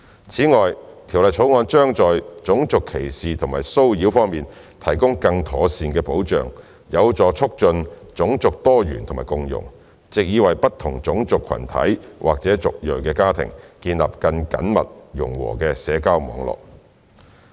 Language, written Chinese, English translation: Cantonese, 此外，《條例草案》將在種族歧視及騷擾方面提供更妥善的保障，有助促進種族多元和共融，藉以為不同種族群體或族裔的家庭建立緊密融和的社交網絡。, In addition the enhanced protection from racial discrimination and harassment under the Bill can promote racial diversity and harmony thereby creating a cohesive social network for families of different racial groups or ethnic origins